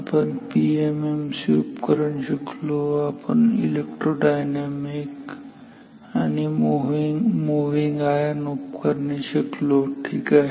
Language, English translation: Marathi, We have studied PMMC instruments, we have studied electro dynamic and moving iron instruments ok